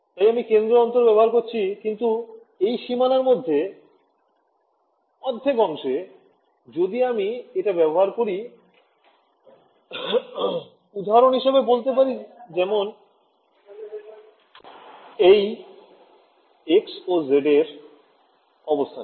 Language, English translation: Bengali, So, then I impose it use centre differences, but impose this half a cell inside the boundary if I impose this so, at for example, at the location of x z